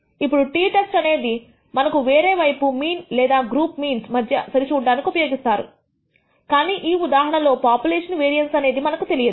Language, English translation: Telugu, Now, the t test on the other hand is used also for a test of the mean or a comparison between means group means, but in this case the population variance is not known